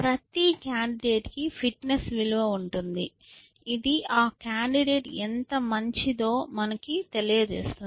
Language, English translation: Telugu, So, with every candidate we have a fitness value, which tells us how good that candidate is essentially